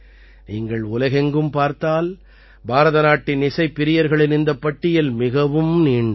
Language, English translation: Tamil, If you see in the whole world, then this list of lovers of Indian music is very long